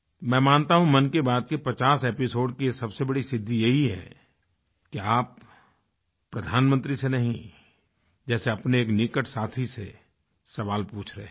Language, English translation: Hindi, I believe that the biggest achievement of the 50 episodes of Mann Ki Baat is that one feels like talking to a close acquaintance and not to the Prime Minister, and this is true democracy